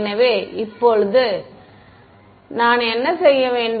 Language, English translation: Tamil, So, now, what do I have to do